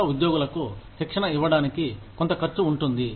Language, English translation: Telugu, There is some cost involved in training the new employees